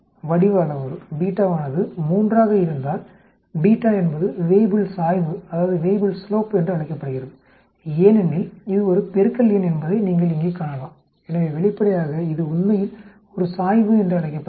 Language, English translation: Tamil, Shape parameter, if beta is 3, beta is also known as the Weibull slope because you can see here you know it is a multiplication number, so obviously it is called a slope actually